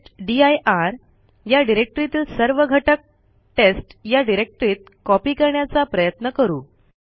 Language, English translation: Marathi, Let us try to copy all the contents of the testdir directory to a directory called test